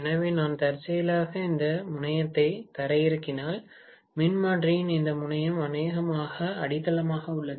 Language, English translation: Tamil, So, if I by chance ground this terminal for example, whereas this terminal of the transformer is grounded probably, right